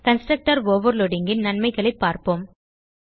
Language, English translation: Tamil, Let us see the advantage of constructor overloading